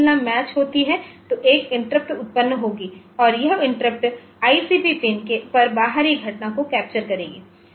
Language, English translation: Hindi, So, if the comparison matches then also an interrupt will be generated and this input capture of external event on ICP pin